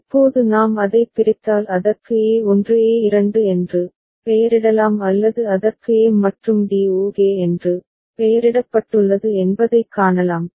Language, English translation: Tamil, Now we can see that if we split it you can name it a1 a2 or it has been named there a and d ok